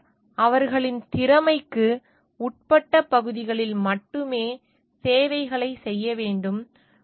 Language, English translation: Tamil, Engineer shall perform services only in their areas of their competence